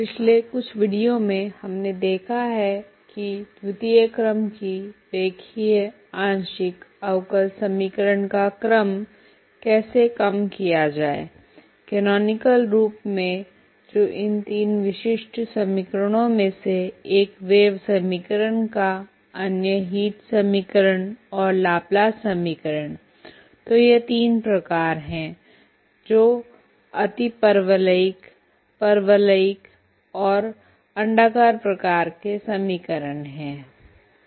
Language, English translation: Hindi, Welcome back, in the last few videos we have seen how to reduce second order linear partial differential equation into a canonical form that is one of these three typical equations one is wave equation other one heat equation and Laplace equation so these are the three types which is hyperbolic, parabolic and elliptic type of equations